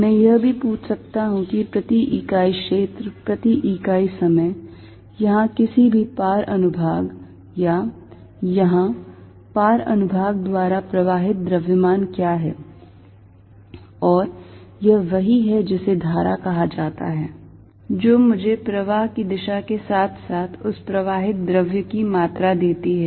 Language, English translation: Hindi, I can also ask, what is mass percent unit area, per unit time, flowing through any cross section here or a cross section here and that is what called current, which give me the direction of flow as well as the amount that fluid flowing